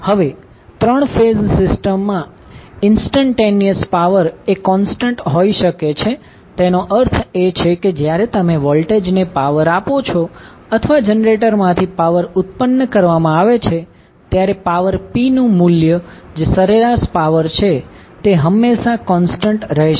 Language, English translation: Gujarati, Now, the instantaneous power in a 3 phase system can be constant that means that when you power the voltage or the power is being generated from the generator the value of power p that is average power will always be constant